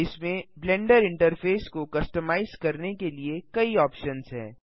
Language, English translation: Hindi, This contains several options for customizing the Blender interface